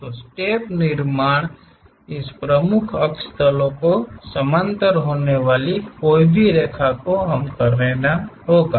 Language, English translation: Hindi, So, step construction any line supposed to be parallel to this principal axis planes, we have to do